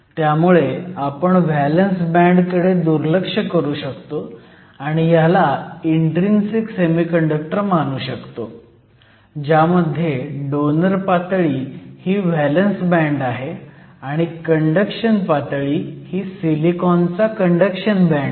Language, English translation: Marathi, So, we can sought of ignore the valence band and we can treat this as an intrinsic semiconductor with the donor level being the valence band and the conduction level being the conduction band of silicon